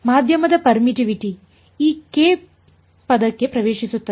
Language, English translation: Kannada, The permittivity of the medium enters into this k term